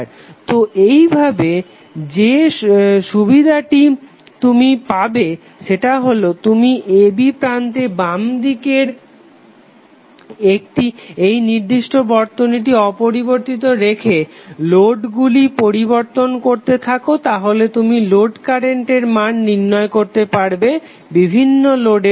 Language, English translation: Bengali, So in this way the benefit which you will get is that you will keep the left of this particular segment, the left of the terminal a b same and you will keep on bearing the load resistance and you can find out the value of load current when various load resistances are given